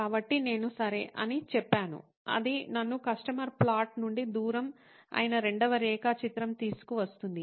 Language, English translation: Telugu, So I said okay, let’s, that brings me to the second plot which is the distance from the customer location